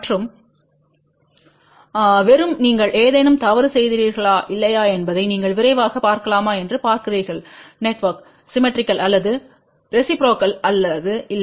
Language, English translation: Tamil, And just you see whether you have done any mistake or not you can make a quick check whether the network is symmetrical or and reciprocal or not